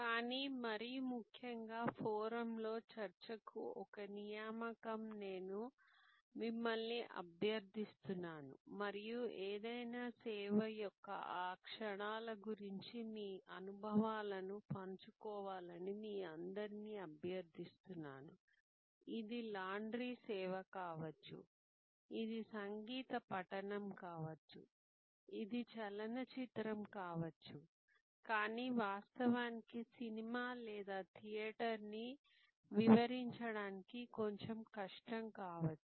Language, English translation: Telugu, But, most importantly I would request you now as an assignment for discussion on the forum and I would request all of you to put in share your experiences of those moments of any service, it could be a laundry service, it could be a musical recital, it can be a movie, but actually the movie or theater may be a little bit more difficult to describe